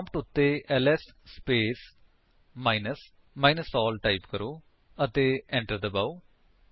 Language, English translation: Punjabi, Just type the command: ls space minus small l and press Enter